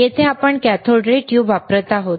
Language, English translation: Marathi, Here we are using the cathode ray tube